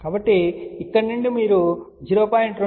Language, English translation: Telugu, So, from here you locate 0